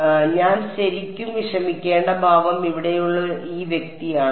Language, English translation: Malayalam, So, the expression that I really have to worry about is this guy over here